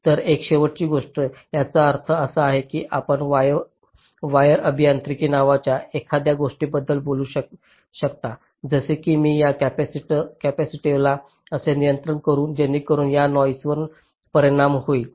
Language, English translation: Marathi, that means you can talk about something called wire engineering, like: how do i control this capacitive affects, then this noise